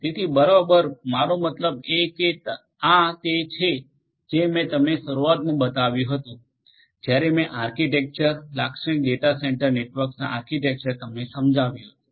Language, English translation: Gujarati, So, exactly I mean this is something that I had shown you in the at the outset when I talked about the data centre network when I explained to you the architecture typical architecture of a data centre network